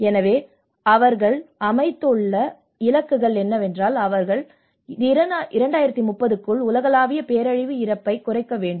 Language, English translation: Tamil, So the targets which they have set up is about they need to reduce the global disaster mortality by 2030